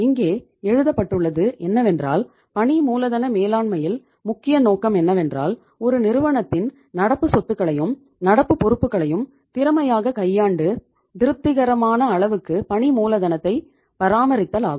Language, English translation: Tamil, It is written here, the major objective of working capital management is to manage the firm’s current assets and current liabilities in such a manner or in such a way that satisfactory level of working capital is maintained